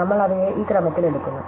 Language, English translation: Malayalam, So, we pick them up in this order